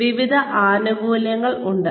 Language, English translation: Malayalam, So, various benefits